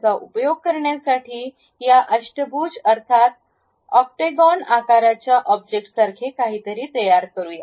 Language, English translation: Marathi, To use that let us construct something like an object of this shape which is octagon